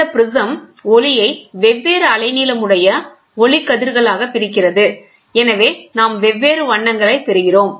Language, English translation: Tamil, This prism split the incident light into light rays of different wavelengths and hence, therefore we get different colors